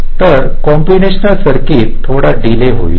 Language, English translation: Marathi, so combination circuit will be having some delay